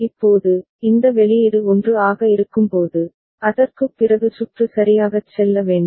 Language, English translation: Tamil, Now, when this output is 1, after that where the circuit should go ok